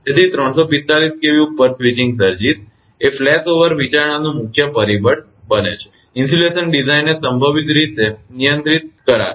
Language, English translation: Gujarati, So, above 345 kV switching surges become the major factor of flashover, consideration and will more likely control the insulation design